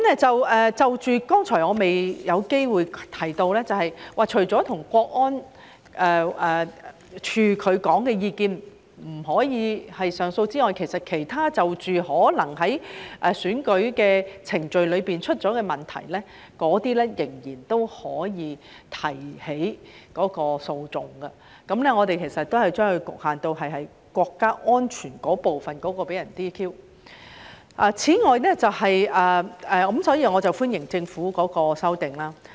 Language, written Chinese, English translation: Cantonese, 就着剛才我未有機會提到的，便是除了國安處的意見不可上訴之外，就着其他在選舉程序中可能出現的問題，那些仍然可以提起訴訟，而我們只是將其局限在因國家安全部分被 "DQ" 的情況，所以我歡迎政府的修訂。, While no legal proceedings may be instituted against an opinion of the National Security Department legal proceedings may still be instituted against other issues that may arise in election proceedings . Exception is only given to the disqualification of a candidate by reason of national security . I therefore support the amendment of the Government